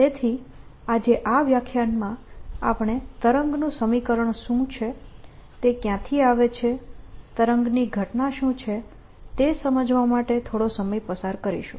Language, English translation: Gujarati, so in this lecture today, we are going to spend some time to understand what wave equation is, where it comes from, what wave phenomenon is